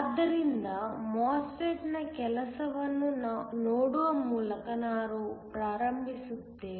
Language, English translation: Kannada, So, let me start by looking at the working of the MOSFET